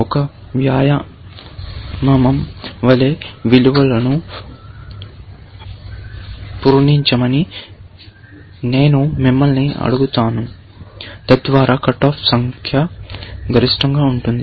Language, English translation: Telugu, As an exercise, I will ask you to fill in values, so that, the number of cut offs are maximum